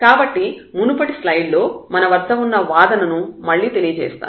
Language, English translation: Telugu, So, let me just again repeat the argument we had in the previous slide